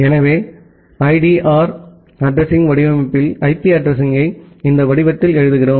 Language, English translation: Tamil, So, in CIDR addressing format, we write the IP address in this format